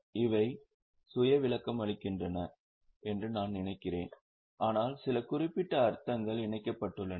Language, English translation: Tamil, I think these heads are very much self explanatory, but there are some specific meanings attached